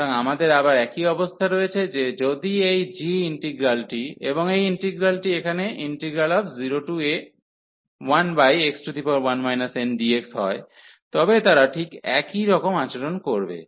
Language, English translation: Bengali, So, we have again the same situation that if this integral if this integral over g, and this integral here, they will behave exactly the same